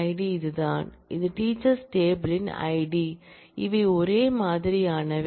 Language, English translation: Tamil, ID is this, which is id of the teachers table they are same